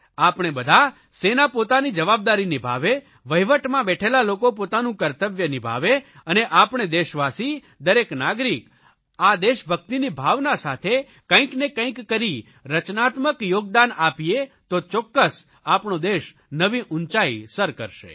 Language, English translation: Gujarati, Now, if all of us, that is, our armed forces, people in the government, fulfill our respective responsibilities sincerely, and all of us countrymen, each citizen make some constructive contribution imbued with the feeling of patriotism, our country will most definitely scale greater heights